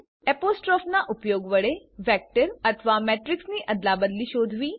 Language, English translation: Gujarati, Find the transpose of vector or matrix using apostrophe